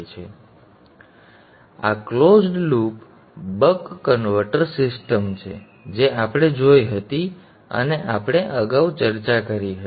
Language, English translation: Gujarati, So this is the closed loop buck converter system that we saw and we discussed previously